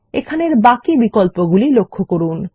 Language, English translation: Bengali, Notice the various options here